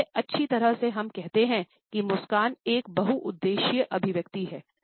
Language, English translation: Hindi, At best we say that is smile is a multipurpose expression